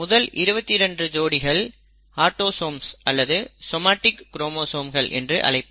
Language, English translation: Tamil, The first 22 pairs are actually called autosomes or somatic chromosomes, somatic for body, somatic chromosomes